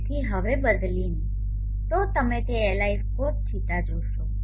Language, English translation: Gujarati, so now replacing you will see that Li cos